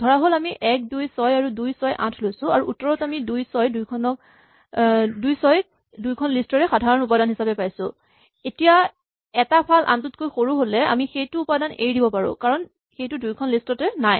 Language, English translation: Assamese, Supposing we want to take 1, 2, 6 and 2, 6, 8 and come out with the answer 2, 6 as the common elements, then if one side is smaller than the other side, we can skip that element because it is not there in both lists